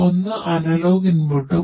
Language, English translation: Malayalam, One is the analog input and one is the digital inputs